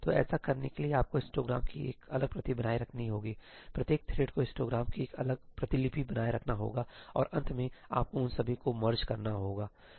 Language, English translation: Hindi, So, in order to do that you will have to maintain a separate copy of the histogram; each thread will have to maintain a separate copy of the histogram and in the end you will have to merge all of them, right